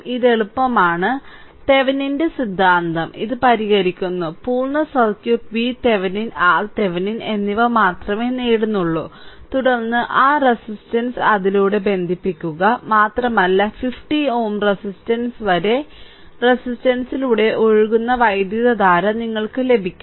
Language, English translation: Malayalam, So, it is easy Thevenin’s theorem rather this solving full circuit only obtains V Thevenin and R Thevenin and then, connect that resistance across it and you will get that current flowing through the resistance so, up to 50 ohm resistance